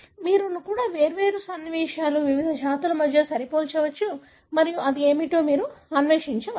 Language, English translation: Telugu, Even, you can compare between different sequences, different species and you can explore what it is